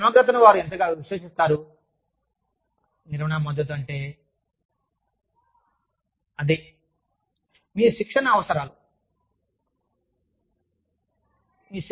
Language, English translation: Telugu, How much, do they trust your integrity, is what, management support means